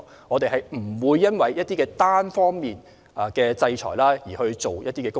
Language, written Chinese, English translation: Cantonese, 我們不會因為一些單方面實施的制裁而執行一些工作。, We will not take any actions just because of some unilateral sanctions